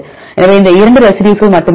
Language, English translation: Tamil, So, there are only 2 residues